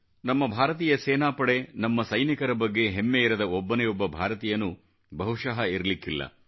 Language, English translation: Kannada, There must be hardly any Indian who doesn't feel proud of our Armed Forces, our army jawans, our soldiers